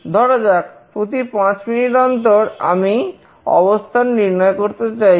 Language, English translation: Bengali, Let us say I want to track it every 5 minutes